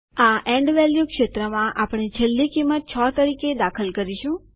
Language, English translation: Gujarati, In the End value field, we will type the last value to be entered as 6